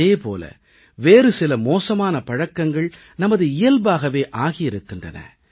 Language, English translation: Tamil, These bad habits have become a part of our nature